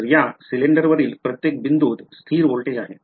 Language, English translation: Marathi, So, every point on this cylinder has constant voltage